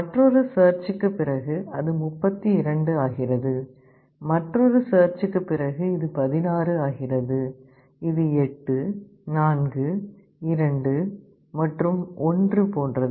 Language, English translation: Tamil, After another search, it becomes 32, after another search it becomes 16, like this 8 4 2 and 1